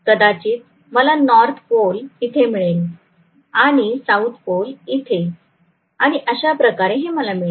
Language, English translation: Marathi, I am going to have probably the north pole here and south pole here and so on that is it, that is what I am going to get